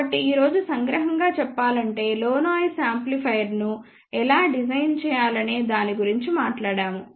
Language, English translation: Telugu, So, just to summarize today we talked about how to design low noise amplifier